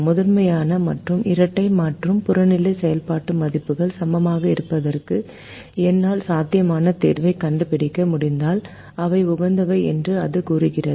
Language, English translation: Tamil, it says: if i am able to find a feasible solution to the primal and to the dual and the objective function values are equal, then they are optimal